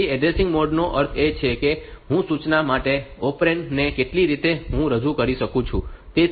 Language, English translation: Gujarati, So, addressing modes means the how many ways I can tell the operand for an instruction